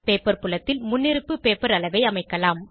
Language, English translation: Tamil, In the Paper field, we can set the default paper size